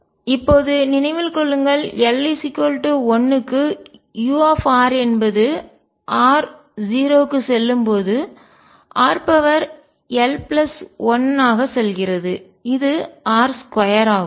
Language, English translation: Tamil, Now, remember for l equals 1 u r as r tends to 0 goes as r raise to l plus 1 which is r square